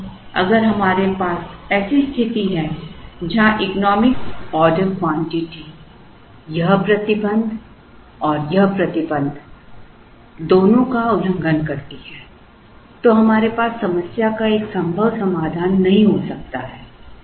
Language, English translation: Hindi, So, if we have a situation where the economic order quantity is violating both this restriction and this restriction, then we cannot have a feasible solution to the problem